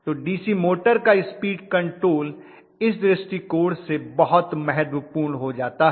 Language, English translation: Hindi, So DC motor speed control becomes very important from that point of view